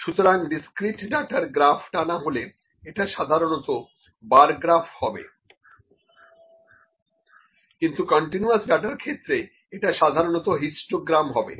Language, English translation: Bengali, So, the graph for the plot for the discrete data is generally the, bar graph and for the continuous data it is generally the histogram